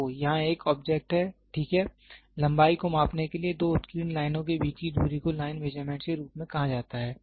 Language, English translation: Hindi, So, here is an object, ok, the distance between two engraved lines, two engraving lines are used to measure the length is called as the line standards